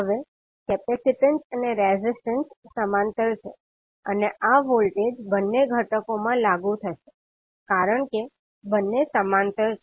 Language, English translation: Gujarati, Now the capacitance and resistance are in parallel and this voltage would be applied across both of the components because both are in parallel